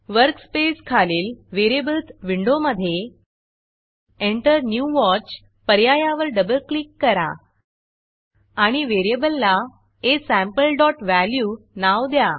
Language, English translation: Marathi, In the Variables window below the workspace, I will double click on the Enter new Watch option and enter the name of the variable aSample.value